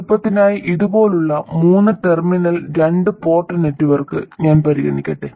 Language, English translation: Malayalam, And let me consider just for simplicity a 3 terminal 2 port network like this